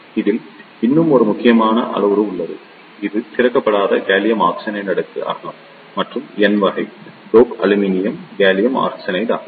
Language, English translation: Tamil, There is one more critical parameter in this that is the undoped gallium arsenide layer with and the n type dope aluminium gallium arsenide width